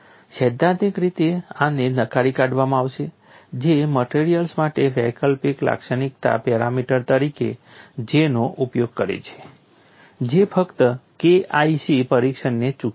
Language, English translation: Gujarati, In principle this would rule out the use of J as an alternative characterizing parameter for materials that just miss the K 1 c test